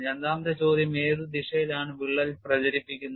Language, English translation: Malayalam, And the secondary question is what is the direction of crack propagation